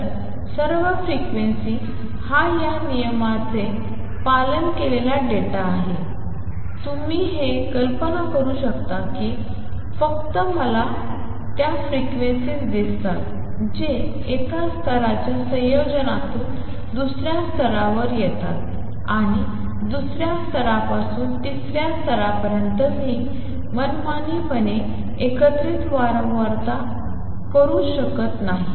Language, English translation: Marathi, So, all the frequency is data seen follow this rule, you can visualize this that only I see only those frequencies that come from combination of one level to the second level and from second level to the third level I cannot the combine frequency arbitrarily